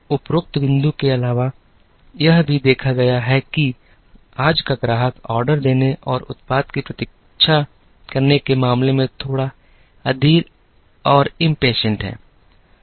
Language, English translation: Hindi, In addition to the above point,it is also observed that, today’s customer is a little impatient in terms of placing an order and waiting for the product